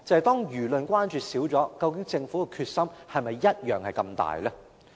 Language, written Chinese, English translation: Cantonese, 當輿論關注減少，究竟政府的決心是否跟以前一樣大呢？, As public attention wanes is the Government as determined as before?